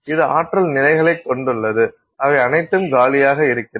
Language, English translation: Tamil, So this consists of energy levels that are all available and empty